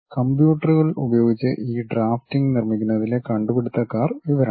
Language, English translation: Malayalam, These are the first pioneers in terms of constructing these drafting using computers